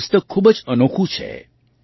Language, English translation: Gujarati, This book is very unique